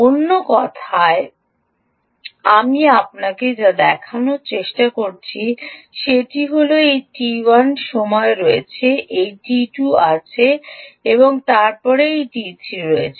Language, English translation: Bengali, in other words, what i am trying to show you is there is this t one time, there is this t two and then there is this t three